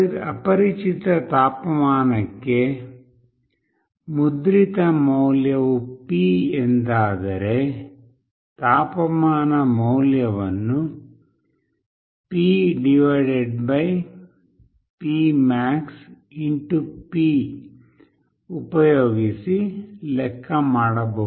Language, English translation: Kannada, Then for an unknown temperature, if the value printed is P, then the temperature value can be calculated as 50 / P max * P